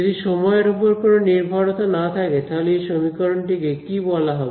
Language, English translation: Bengali, So, if there is no time dependence, what are those kinds of equations called